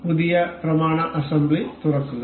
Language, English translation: Malayalam, Open new document assembly